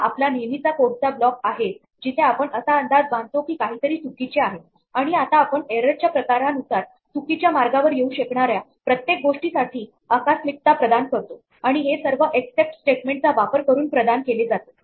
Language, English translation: Marathi, This is our usual block of code where we anticipate that something may go wrong and now we provide contingencies for all the things that could go wrong depending on the type of error and this is provided using this except statement